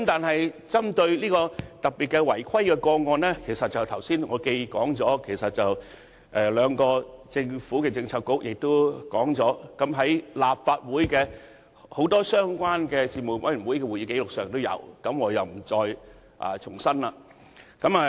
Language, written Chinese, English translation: Cantonese, 不過，針對特定的違規個案，正如我剛才提到，兩個政策局已提及此事，而立法會相關事務委員會的多份會議紀錄也有記錄，所以我不在此重申。, Yet regarding the specific case of violation as I mentioned earlier the incident has been mentioned by the two Policy Bureaux concerned and recorded in a number of minutes of meetings of the relevant Panels of the Legislative Council I will not make any repetition here